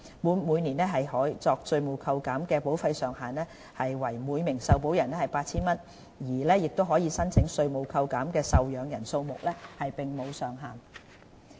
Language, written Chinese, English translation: Cantonese, 每年可作稅務扣減的保費上限為每名受保人 8,000 元，而可申請稅務扣減的受養人數目並無上限。, The deduction ceiling is 8,000 per insured person per year . There is no cap on the number of dependents that are eligible for tax deduction